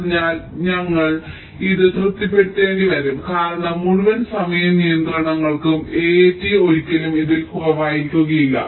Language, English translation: Malayalam, so we will have to satisfy this because for whole time constraints, a, a, t can never be less then this